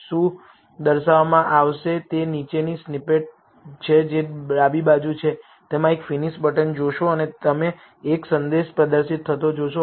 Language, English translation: Gujarati, What will be displayed is the following snippet on the left, you will see a finish button and you will see a message being displayed